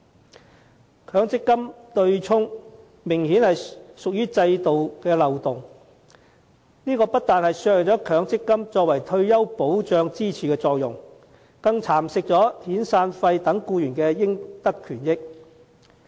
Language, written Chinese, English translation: Cantonese, 強制性公積金對沖機制明顯屬於制度漏洞，不但削弱強積金作為退休保障支柱的作用，更蠶食遣散費等僱員應得的權益。, Obviously the offsetting mechanism of Mandatory Provident Fund MPF is a loophole in the system which not only weakens the function of MPF as a pillar of retirement protection but also erodes the entitled benefits of employees such as severance payments